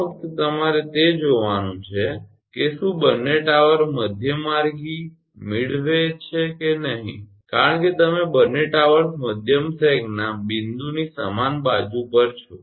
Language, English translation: Gujarati, This is just you have to see if both the towers are midway because you both the towers are on the same side of the point of maximum sag